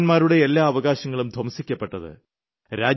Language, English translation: Malayalam, All the rights of the citizens were suspended